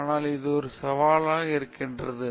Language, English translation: Tamil, So, it’s a challenge okay